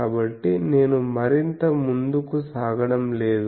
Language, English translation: Telugu, So, I am not further proceeding